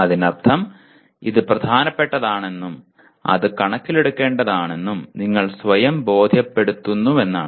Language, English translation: Malayalam, That means you now are convincing yourself that it is important and it needs to be taken into consideration